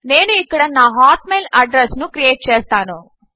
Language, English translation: Telugu, I will type my hotmail address here